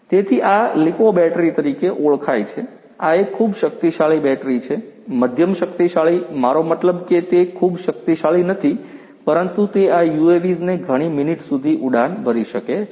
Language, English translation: Gujarati, So, this is known as the lipo battery, this is a very powerful battery, you know medium powerful I mean it is not extremely powerful, but you know it can make these UAVs fly for several minutes